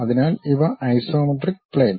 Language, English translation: Malayalam, So, these are isometric plane